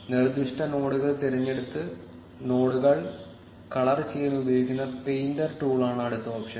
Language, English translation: Malayalam, The next option is the painter tool, which is used to color nodes by selecting the specific nodes